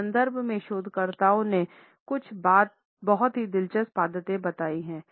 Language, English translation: Hindi, Researchers have pointed out some very interesting habits and preferences in this context